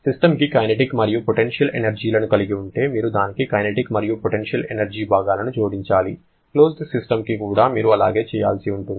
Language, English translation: Telugu, But if the system is having kinetic and potential energies, you have to add the kinetic and potential components to that one also, quite similar thing you have to do for the closed system as well